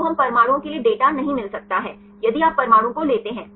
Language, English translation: Hindi, So, we cannot get the data for the atoms say if you take the atom wise